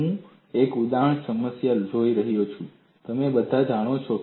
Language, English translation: Gujarati, I am going to take up one example problem which all of you know